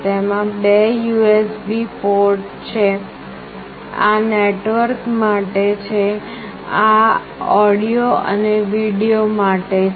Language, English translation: Gujarati, It has got two USB ports; this is for the network, these are audio and video